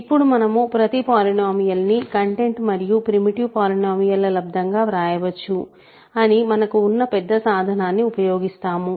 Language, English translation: Telugu, So, now, using again the big tool for us is that every polynomial can be written as a content times a primitive polynomial